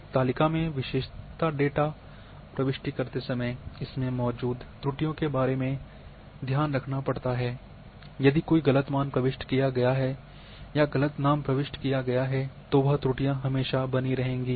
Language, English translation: Hindi, One has to take care about those errors in attribute data entry while typing the attributes in a table if a wrong value has been typed or wrong name has been typed, that error will remain will remain there